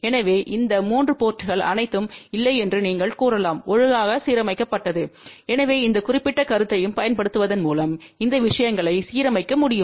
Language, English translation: Tamil, So, you can say that all these 3 ports are not properly aligned, so these things can be aligned by using this particular concept also